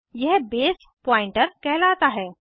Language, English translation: Hindi, This is called as Base pointer